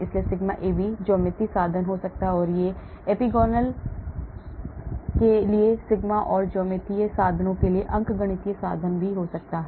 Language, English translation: Hindi, so sigma AB could be geometric means or it can be even arithmetic means for sigma and geometric means for epsilon,